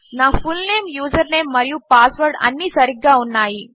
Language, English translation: Telugu, My fullname, username and password are fine